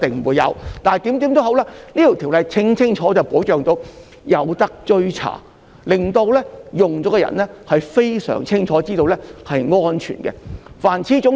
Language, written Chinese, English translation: Cantonese, 無論如何，《條例草案》清楚地確保可以追查紀錄，令到使用的人非常清楚知道製品是安全的。, Anyway the Bill clearly ensures that records can be traced so that users are fully aware that the products are safe